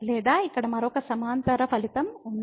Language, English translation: Telugu, Or there is another parallel result here